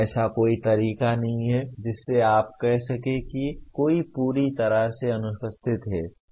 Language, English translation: Hindi, There is no way you can say that one is totally absent